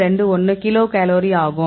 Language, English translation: Tamil, 21 kilocal per mole